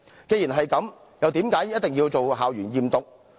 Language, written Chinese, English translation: Cantonese, 既然如此，為何要進行校園驗毒？, If this is the case why was the school drug testing scheme carried out?